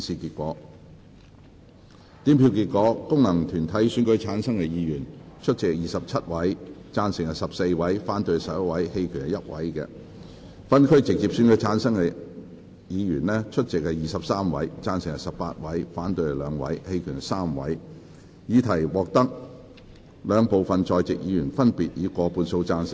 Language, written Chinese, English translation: Cantonese, 主席宣布經由功能團體選舉產生的議員，有26人出席 ，8 人贊成 ，16 人反對 ，1 人棄權；而經由分區直接選舉產生的議員，有23人出席 ，13 人贊成 ，8 人反對 ，2 人棄權。, THE PRESIDENT announced that among the Members returned by functional constituencies 26 were present 8 were in favour of the amendment 16 against it and 1 abstained; while among the Members returned by geographical constituencies through direct elections 23 were present 13 were in favour of the amendment 8 against it and 2 abstained